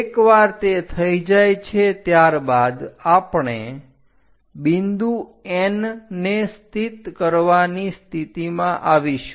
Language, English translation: Gujarati, Once it is done, we will be in a position to locate a point N